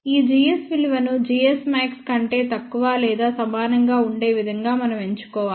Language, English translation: Telugu, We must choose this value of g s to be less than or equal to g s max